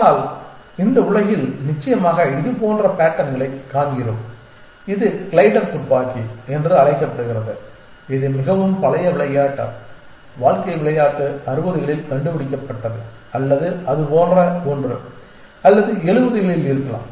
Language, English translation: Tamil, But in this world certainly we see patterns like this; this is called the glider gun and this is the very old game, game of life was invented in 60’s or something like that essentially or may be 70’s